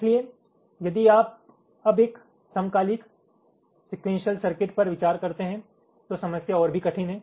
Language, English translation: Hindi, so if you now consider a synchronous sequential circuit, the problem is even more difficult